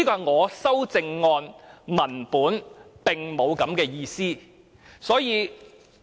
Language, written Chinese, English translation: Cantonese, 我的修正案文本並沒有這樣的意思。, The texts of my amendments do not carry these meanings